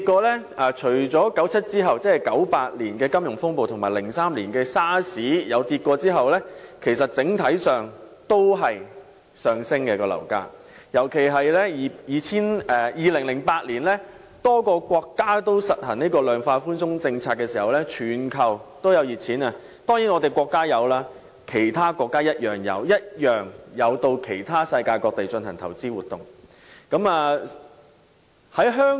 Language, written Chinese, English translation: Cantonese, 樓市除了在1997年後1998年的金融風暴和2003年的 SARS 曾經下跌外，樓價整體上都是上升的，特別是當2008年多個國家均實行量化寬鬆政策，全球充斥熱錢，我們的國家甚至其他國家均有到世界各地進行投資活動。, After the handover in 1997 other than the plunge during the financial turmoil in 1998 and the outbreak of SARS in 2003 property prices have been rising . The surge is particularly evident in 2008 . At that time as a number of countries implemented the quantitative easing policies the whole world was flooded with hot money